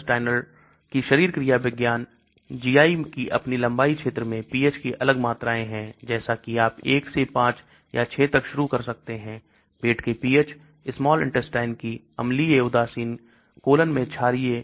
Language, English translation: Hindi, So physiology of the gastrointestinal, GI has a pH gradient throughout its length as you can see starting from 1 right up to 5 or 6, acidic pH of the stomach, acidic neutral in the small intestine, basic in the colon